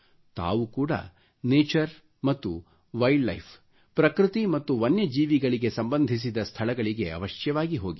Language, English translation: Kannada, You must also visit sites associated with nature and wild life and animals